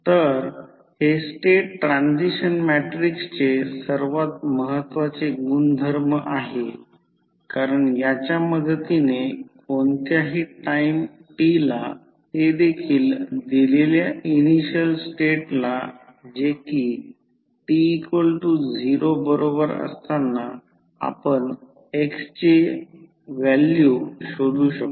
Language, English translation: Marathi, So, this is one of the most important property of the state transition matrix because with the help of this we can completely find the value of x at any time t given the initial state that is state at time t is equal to 0